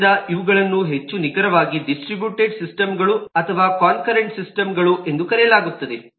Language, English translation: Kannada, so these are typically called distributed systems or concurrent systems to be more precise